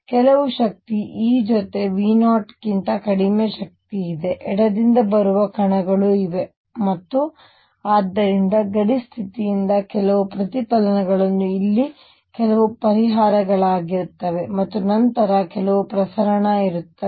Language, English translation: Kannada, There are particles coming from the left with energy less than V 0 with some energy e and therefore, by boundary condition there will be some reflection there will be some solution here and then there will be some transmission